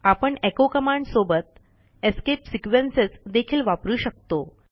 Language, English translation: Marathi, We can also use escape sequences with echo command